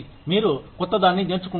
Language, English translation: Telugu, You learn something new